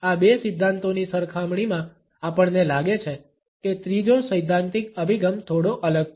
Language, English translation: Gujarati, In comparison to these two theories, we find that the third theoretical approach is slightly different